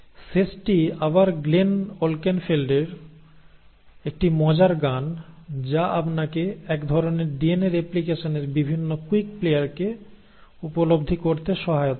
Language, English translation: Bengali, And the last is a fun rap song again by Glenn Wolkenfeld which will just help you kind of quickly grasp the various quick players of DNA replication